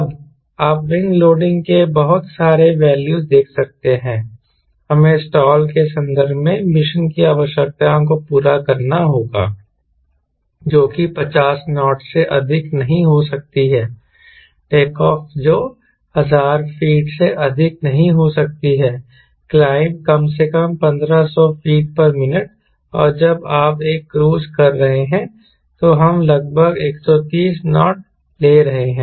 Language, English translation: Hindi, now you could see that so many values of wing loading we need to have to satisfy the mission requirements, which are in terms of stall, which cannot be more than fifty knots, take off, which cannot be more than thousand feet, climb minimum fifteen hundred feet per minute, and when i do a cruise we are taking around one thirty knots cruise in speed, we max could be more than that